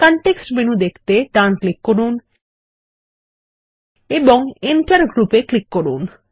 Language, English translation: Bengali, Right click to view the context menu and click on Enter Group